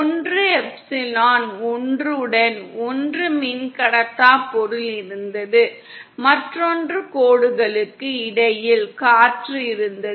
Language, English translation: Tamil, One where there was a dielectric material with epsilon 1, other where air was present between the lines